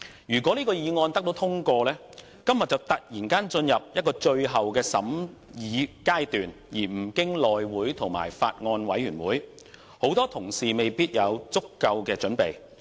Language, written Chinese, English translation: Cantonese, 如果這項議案獲通過，《條例草案》今天便會突然進入最後全體委員會審議階段，而不經內務委員會和法案委員會，很多同事未必有足夠的準備。, If this motion were passed the Bill would suddenly enter the Committee stage of the whole Council instead of going through the House Committee and a Bills Committee leaving many Honourable colleagues not prepared adequately